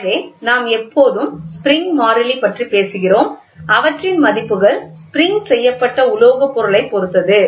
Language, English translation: Tamil, So, we always talk about the spring constant and their values depend on the material on the dimension of the spring